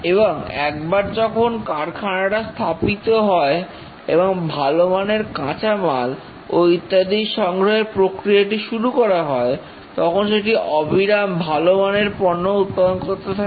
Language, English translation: Bengali, And once the plant has been set up and process is followed, like getting good quality raw material and so on, it will keep on continuing to produce good quality products once the process has been set up